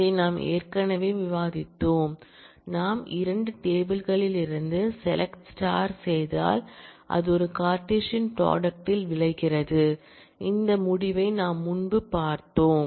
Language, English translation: Tamil, We have already discussed this that, if we do select star from 2 tables then it results in a Cartesian product we have seen this result earlier